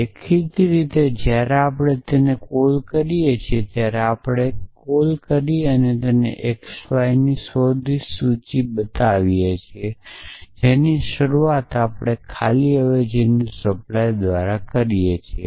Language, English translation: Gujarati, So, obviously when we call it when we call we so x y are any search list arbitrary list we start of by supplying an empty substitution